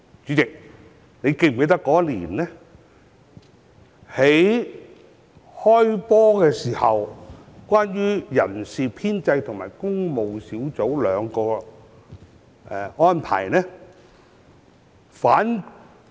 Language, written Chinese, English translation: Cantonese, 主席，你是否記得那年"開波"的時候，人事編制和工務兩個小組委員會的情況？, President do you remember what happened in the Establishment Subcommittee and the Public Works Subcommittee at the kick - off of the legislative session that year?